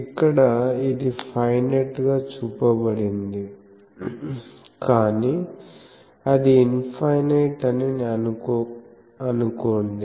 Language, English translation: Telugu, Though here it is shown as finite, but assume it is an infinite